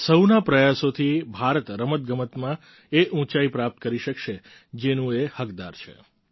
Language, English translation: Gujarati, It is only through collective endeavour of all that India will attain glorious heights in Sports that she rightfully deserves